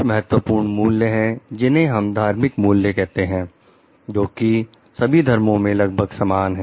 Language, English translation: Hindi, There are certain key values what we talk of spiritual values, which are similar across religions